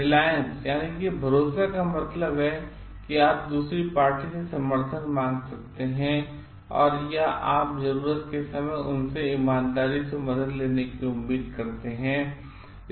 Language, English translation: Hindi, Reliance means you can seek support from the other party or you hope full of getting sincere help from them in times of need